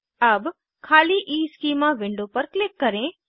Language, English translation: Hindi, Now click on the blank EESchema window